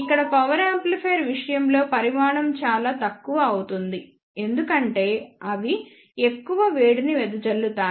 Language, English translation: Telugu, Here in case of power amplifier the size is made relatively more because they have to dissipate more heat